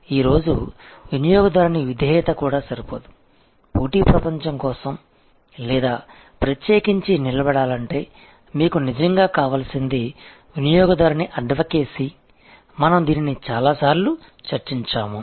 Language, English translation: Telugu, Even customer loyalty is not good enough today, what you really need for competitive advantage or to stand out is customer advocacy, we have discussed this number of times